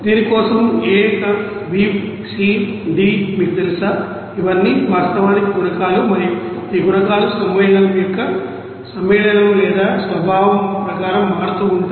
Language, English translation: Telugu, And for this a, b, c, d you know E all those are actually coefficients and these coefficients are you know varying according to the you know compound or nature of the compound